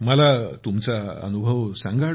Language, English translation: Marathi, Tell me, how was the experience